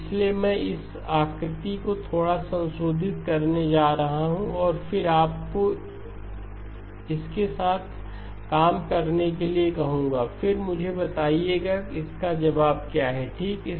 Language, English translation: Hindi, So I am going to modify this figure a little bit and then ask you to work with this and then let me know what is the answer, okay